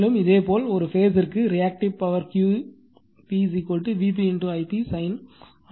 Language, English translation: Tamil, And the similarly, and the reactive power per phase will be Q p is equal to V p I p sin theta right